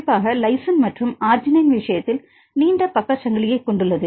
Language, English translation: Tamil, Specifically, in the case of lysine and arginine it has long side chain